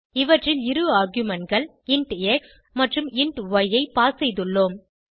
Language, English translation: Tamil, In these we have passed two arguments int x and int y